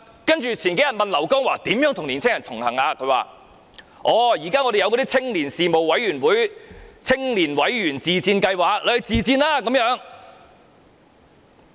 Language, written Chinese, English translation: Cantonese, 幾天後我們問劉江華如何與年輕人同行，他說："現在我們有青年事務委員會、'青年委員自薦計劃'，他們可以自薦。, A few days later when we asked LAU Kong - wah how to connect with young people he said We now have the Commission on Youth and the Member Self - recommendation Scheme for Youth . Young people can make self - recommendation